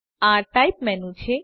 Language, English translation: Gujarati, This is the Type menu